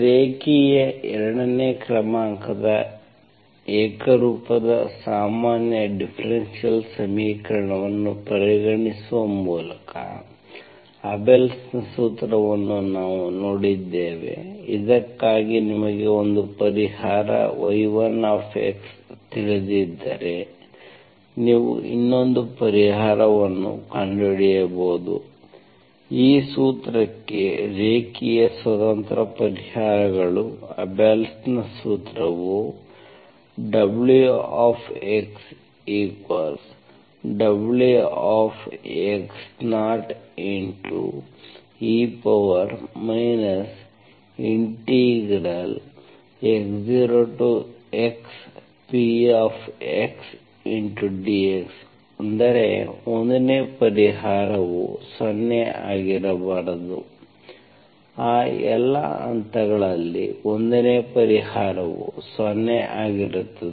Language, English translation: Kannada, So we have seen what is Abel’s formula by considering differential equation, linear second order homogeneous ordinary differential equation for which if you know one solution, y1 x, you can find the other solution, the linearly independent solutions to this formula, Abel’s formula that is y2 x is given in terms of y1 x into some integral that involves 1 by y1 of, y1 of t square